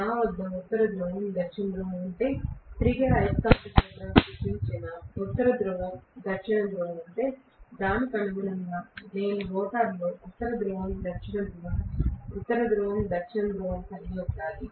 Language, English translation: Telugu, If I have North Pole South Pole, North Pole South Pole created by the revolving magnetic field, correspondingly, I should have North Pole South Pole, North Pole South Pole in the rotor